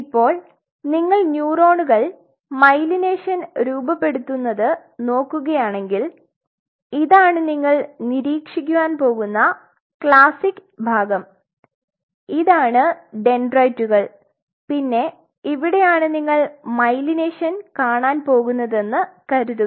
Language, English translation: Malayalam, So, now, if you look at the neurons when they are forming a myelination this is the classic part what you will be observing these are the dendrites and assume that this is where you are seeing the myelination right